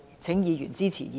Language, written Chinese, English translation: Cantonese, 請議員支持議案。, I urge Members to support the motion